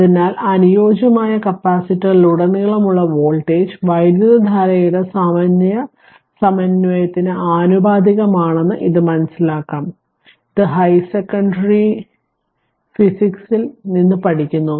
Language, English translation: Malayalam, So, what that we will learn that the voltage across the ideal capacitor is proportional to the time integral of the current, this you have learn also from your high secondary physics